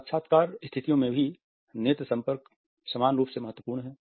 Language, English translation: Hindi, Eye contact is equally important in all the interview situations